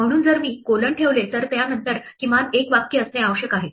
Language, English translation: Marathi, So if I put a colon there must be at least one statement after that